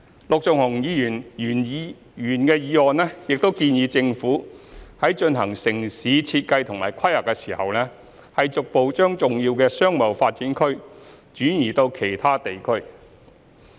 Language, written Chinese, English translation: Cantonese, 陸頌雄議員的原議案建議政府在進行城市設計及規劃時，逐步將重要的商貿發展區轉移至其他地區。, Mr LUK Chung - hungs original motion proposes that the Government should progressively relocating important business development areas to other districts when undertaking urban design and planning